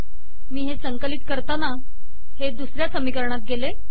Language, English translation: Marathi, When I compile it, now these have gone to second equation